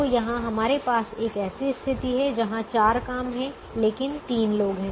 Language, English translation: Hindi, so here we have a situation where there are four jobs, but there are three people